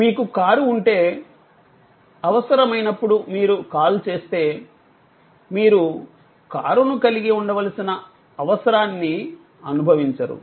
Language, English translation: Telugu, If you have a car, whenever needed, you make an call, you will perhaps do not no longer feel the need of possessing a car